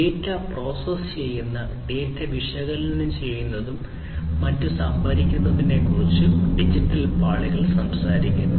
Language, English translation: Malayalam, Digital layers talks about storing the data analyzing the data processing the data and so on